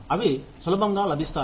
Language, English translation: Telugu, They are easily available